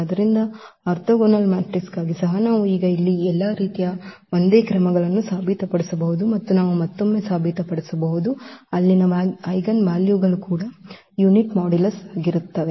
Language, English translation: Kannada, So, for orthogonal matrices also now we can prove thus the similar all absolutely all same steps here and we can again prove the there eigenvalues are also of unit modulus